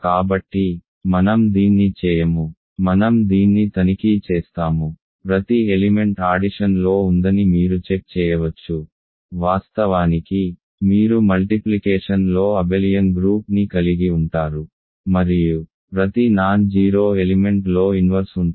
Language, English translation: Telugu, So, I will not do this, I will let you check this, you can check that every element has under the addition, in fact, you have an abelian group under multiplication also every non 0 element has an inverse